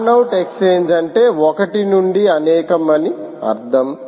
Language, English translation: Telugu, fan out exchange simply means one to many